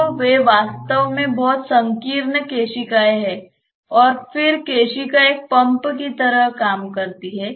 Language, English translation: Hindi, So, those are really very narrow capillaries and then the capillary acts like a pump